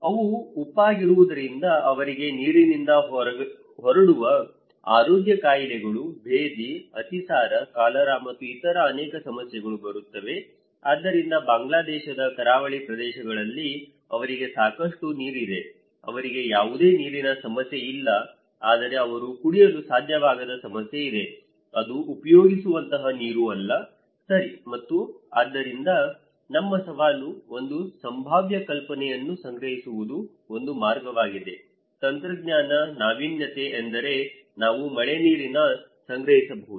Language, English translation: Kannada, Because they are salty, they get waterborne health diseases, dysentery, diarrhoea, cholera and many other problems so, they have plenty of water in the coastal areas of Bangladesh, they do not have any problem of water but problem is that they cannot drink, it is not a portable water, okay and so our challenge one way is to collect one possible potential idea, technology, innovation is that we can collect rainwater